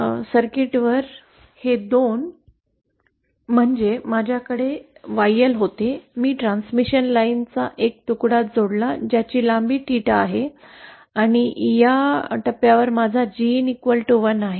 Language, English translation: Marathi, So now on the circuit what this corresponds is 2 is I had my YL, I added a piece of transmission line whose length is theta and at this point I have my G in equal to 1